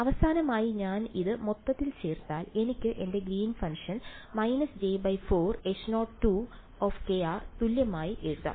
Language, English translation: Malayalam, And if I put it altogether finally, I can write my greens function as equal to minus j by 4 H naught right